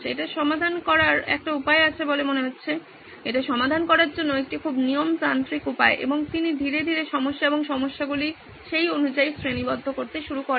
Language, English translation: Bengali, This sounds like a way to solve it, a very systematic way to solve it and he slowly started categorizing the problems and the solutions accordingly